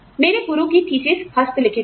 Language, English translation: Hindi, My master's thesis was handwritten